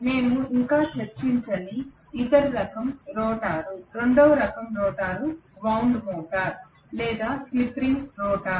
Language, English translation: Telugu, The other type of rotor which we are yet to discuss, the second type of rotor is wound rotor or slip ring rotor